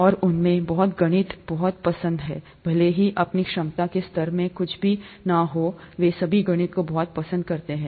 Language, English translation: Hindi, And many of them like mathematics a lot, irrespective of their own capability level in mathematics, they all like mathematics a lot